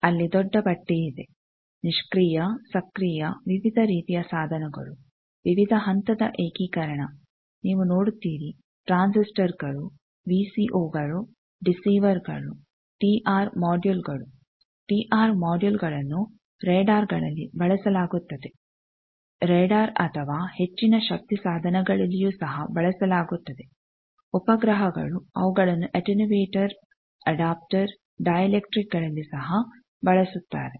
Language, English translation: Kannada, Now, what type of devices are tested, you see there is lot of a large list passive active various types of devices, various levels of integration you see transistors VCO's deceivers T r modules, T r modules are used in radars then those are also radar or high power devices satellites also use them at attenuators adapters dielectrics many things are tested